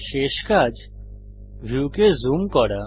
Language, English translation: Bengali, Last action is Zooming the view